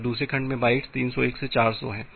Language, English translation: Hindi, And the second segment contains bytes 301 to 400